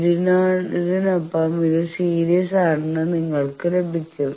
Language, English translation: Malayalam, And with this, you get this is the series